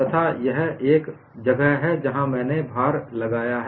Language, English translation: Hindi, And this is where I have applied the load